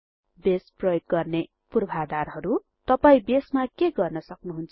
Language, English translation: Nepali, Prerequisites for using Base What can you do with Base